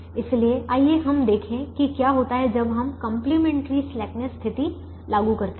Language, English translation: Hindi, so let us go back and see what happens when we apply the complimentary slackness condition